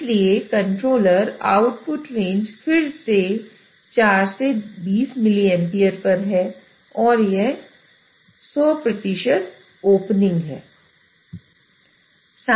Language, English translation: Hindi, So controller output range, again we are at 4 to 20 mll amps